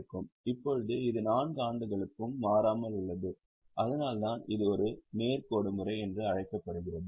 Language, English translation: Tamil, Now, this remains constant for all the 4 years, that's why it is called as a straight line method